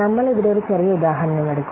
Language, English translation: Malayalam, We'll take a small example here